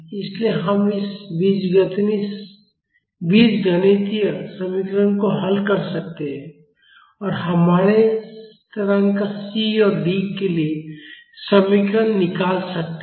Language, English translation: Hindi, So, we can solve this algebraic equation and find out the expressions for our constants C and D